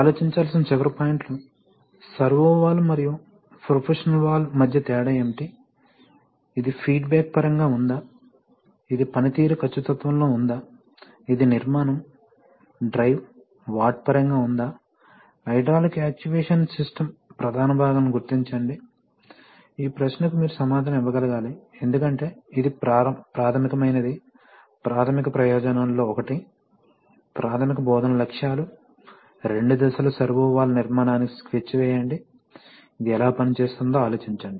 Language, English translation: Telugu, Last points to ponder, yeah, what is the difference between a salvo valve and proportional valve, is it in terms of feedback, is it in terms of performance accuracy, is it in terms of structure, drive, watt, identify the major components of a hydraulic actuation system, this is one of the major, this question you should be able to answer because this is the basic, one of the basic purposes, basic instructional objectives, sketch the construction of a two stage servo valve, this is going to take some time, but think about it how it works